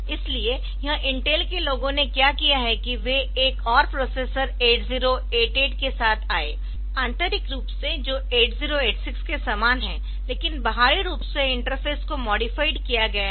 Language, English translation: Hindi, So, what this Intel people did is that they came up with another processor 8088 internally which is similar to 8086, but externally the interfaces are modified